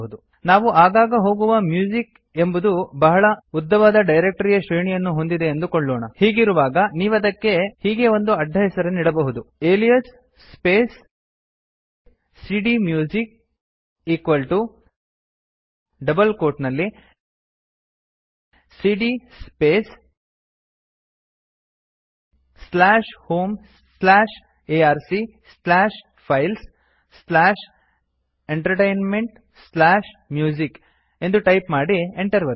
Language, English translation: Kannada, Assuming that you have such a long directory hierarchy that you frequently visit for music, you may create an alias for it like this Type alias space cdMusic equal to within double quotes cd space slash home slash arc slash files slash entertainment slash music and press enter Now every time you need to switch to this directory simply write cdMusic and press enter